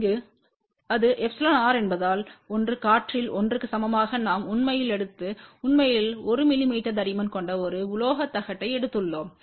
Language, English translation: Tamil, And here since it is epsilon r equal to 1, which is air what we have actually taken we have actually taken a metallic plate of thickness 1 mm